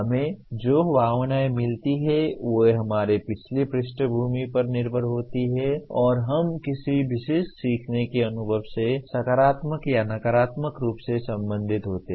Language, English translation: Hindi, The feelings that we get are dependent on our previous background and we relate either positively or negatively to a particular learning experience